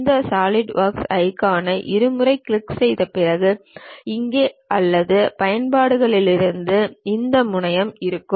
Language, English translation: Tamil, After double clicking these Solidworks icon either here or from the applications we will have this terminal